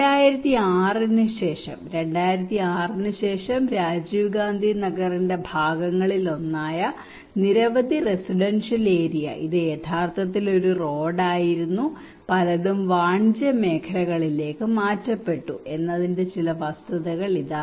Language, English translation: Malayalam, Now here are some of the facts that in 2006 after 2006 lot of residential areas this is actually a road this is one of the fraction of the Rajiv Gandhi Nagar, many are transferred into commercial areas